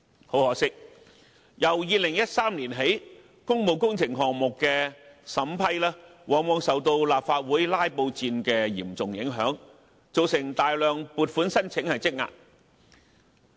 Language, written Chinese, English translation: Cantonese, 很可惜，由2013年起，工務工程項目的審批，往往受到立法會"拉布戰"的嚴重影響，造成大量撥款申請積壓。, Unfortunately since 2013 the scrutiny of public works projects has been seriously affected by filibuster in the Legislative Council and this has caused a large backlog of funding requests